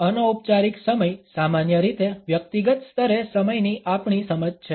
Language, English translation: Gujarati, Informal time is normally our understanding of time at a personal level